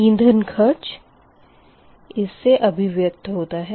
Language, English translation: Hindi, so fuel cost function, therefore, is given by that